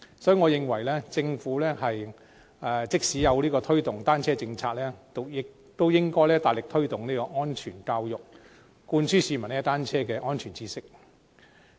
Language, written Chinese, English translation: Cantonese, 所以，即使政府推動單車友善政策，我認為也應該大力推動安全教育，灌輸市民踏單車的安全知識。, So even if the Government intends to promote a bicycle - friendly policy I think it should make vigorous efforts to promote safety education and instill the knowledge of safe cycling in people